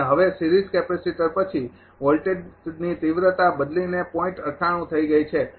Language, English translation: Gujarati, And now after the series capacitor voltage magnitude has changed to 0